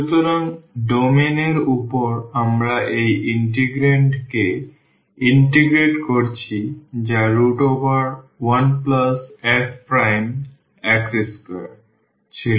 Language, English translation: Bengali, So, over the domain we are integrating this integrand which was 1 plus f prime square root of this